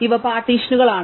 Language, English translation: Malayalam, These are partitions